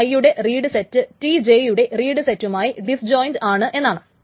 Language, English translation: Malayalam, But the end that the read set of TI is disjoint with the right set of TJ